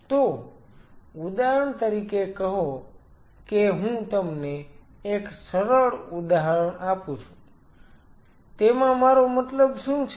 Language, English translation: Gujarati, So, say for example, one simple example let me give you, what I mean by that